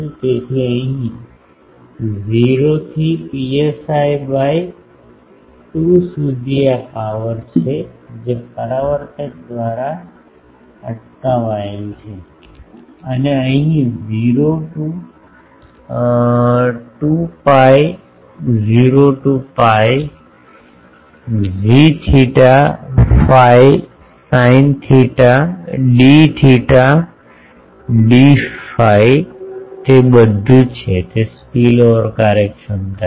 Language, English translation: Gujarati, So, here 0 to psi by 2 this is the power intercepted by the reflector and here 0 to 2 pi 0 to pi g theta phi sin theta d theta d phi that is all, that is spillover efficiency ok